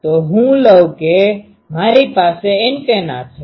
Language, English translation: Gujarati, So let me take that I have an antenna